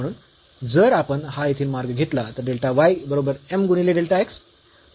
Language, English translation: Marathi, So, if we take this path here delta y is equal to m into delta x